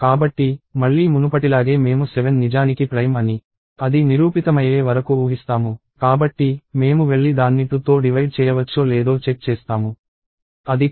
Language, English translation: Telugu, So, again as before I will assume that 7 is actually prime, until it is proven otherwiseů So, I will go and check whether it is divisible by 2; it is not